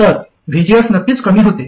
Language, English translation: Marathi, So VGS definitely reduces